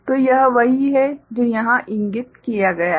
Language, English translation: Hindi, So, this is what is indicated here